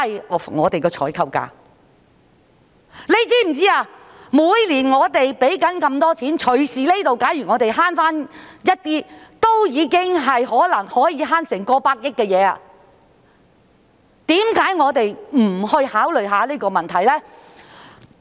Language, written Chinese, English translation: Cantonese, 我們每年支付那麼多錢，假如我們能夠節省一些這方面的開支，便很可能可以節省差不多100億元，為甚麼我們不去思考這個問題呢？, As we spend so much money every year we can probably save almost 10 billion if we can save some of the expenditure in this area . Why do we not give it some thought?